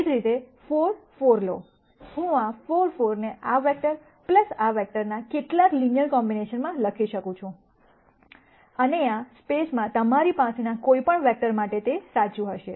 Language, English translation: Gujarati, Similarly, take 4 4, I can write 4 4 as a linear combination of this vector plus this vector and that would be true for any vector that you have in this space